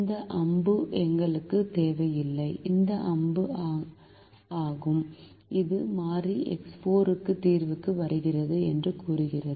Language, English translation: Tamil, this is the arrow which says that variable x four comes into the solution